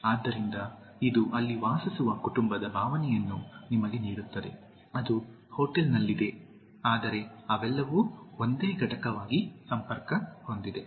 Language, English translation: Kannada, So, it gives you the feeling of a family living there although, it is in a hotel but they are all connected as a single unit